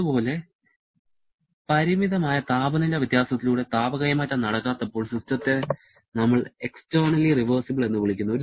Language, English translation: Malayalam, Similarly, when there is no heat transfer through a finite temperature difference, then we call the system to be externally reversible